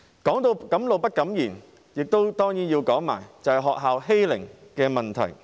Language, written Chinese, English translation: Cantonese, 提到敢怒不敢言，當然也要說說學校的欺凌問題。, Speaking of choking with silent fury we certainly need to talk about school bullying